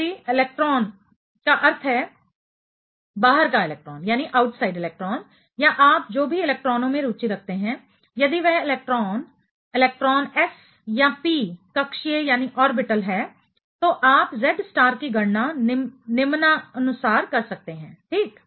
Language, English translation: Hindi, If the electrons that means, the outside electron or the whatever electrons you are interested in, if that electrons electron is s or p orbital, then you can calculate the Z star as follows; ok